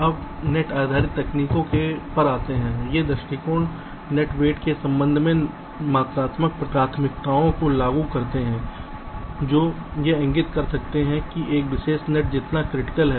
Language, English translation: Hindi, now coming to the net based techniques, these approaches impose quantitative priorities with respect to net weights, which can indicate how critical a particular net is